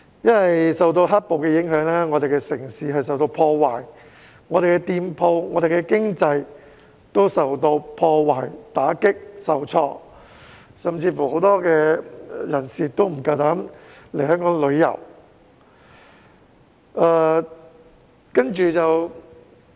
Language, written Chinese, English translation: Cantonese, 因為受到"黑暴"影響，我們的城市受到破壞，店鋪、經濟亦受到破壞、打擊、受挫，甚至有很多人不敢來港旅遊。, When black - clad thugs ran amok our city was ruined; shops were attacked and vandalized and the economy was battered . Many people dared not even come to visit Hong Kong